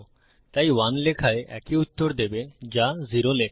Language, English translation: Bengali, So, writing 1 will give the same result as writing 0